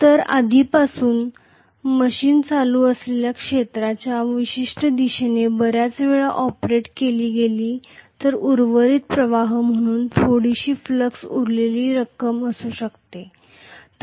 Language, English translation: Marathi, And if already the machine has been operated several times with a particular direction of the field current then there may be some amount of flux leftover as residual flux